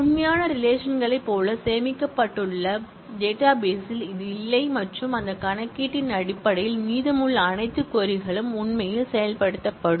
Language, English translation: Tamil, It is not existing in the database as stored like the real relations and based on that computation, all the rest of the query will actually be executed